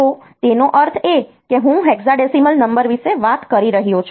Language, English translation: Gujarati, So, that means, I am talking about a hexadecimal number